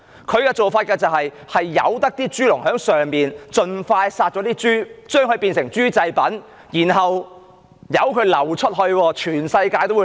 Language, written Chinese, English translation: Cantonese, 大陸政府任由豬農盡快屠殺豬隻以製成豬製品，並流出全世界。, The Mainland Government allowed pig farmers to slaughter the pigs and make them into pig products for exportation to all over the world as soon as possible